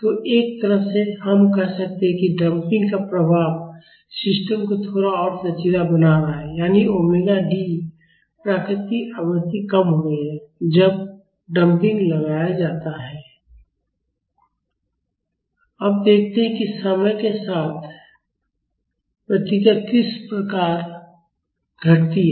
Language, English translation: Hindi, So, in a way we can say that the effect of damping is making the system a little bit more flexible, that is omega D the natural frequency is decreasing when damping is applied